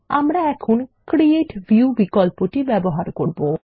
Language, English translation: Bengali, We will go through the Create View option now